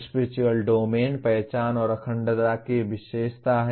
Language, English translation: Hindi, Spiritual Domain is characterized by identity and integrity